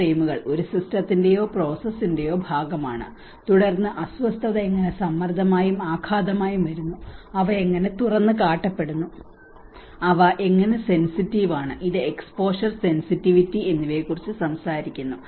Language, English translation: Malayalam, These frames as a part of a system or a processes and then how the disturbance comes as a stress and the shocks and how the capacities to deal with these disturbance like how they are exposed, how they are sensitive you know it talks about exposure, sensitivity and the adaptive capacity, how they can adapt to this